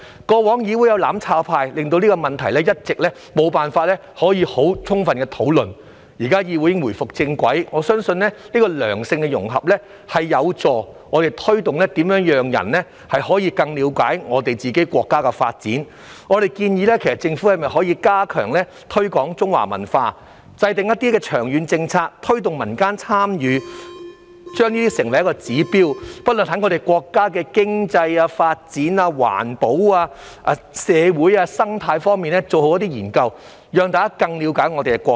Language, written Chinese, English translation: Cantonese, 過往議會有"攬炒派"，令這個問題一直無法充分討論，現在議會已回復正軌，我相信良性的融合有助推動市民更了解國家的發展，我們建議政府加強推廣中華文化，制訂一些長遠的政策，推動民間參與，並將之成為指標，在國家經濟、發展、環保、社會和生態等方面做好研究，讓大家更了解我們的國家。, Therefore it is very important to let them understand the development of the country and what is happening in the country . In the past there was the mutual destruction camp in this Council which prevented this issue from being fully discussed; however this Council has now returned to the right track and I believe a positive integration will help the public understand more about the development of the country . We suggest that the Government should strengthen the promotion of Chinese culture formulate some long - term policies promote community participation and make it a benchmark to study the economic development environmental social and ecological aspects of the country so that people can better understand our country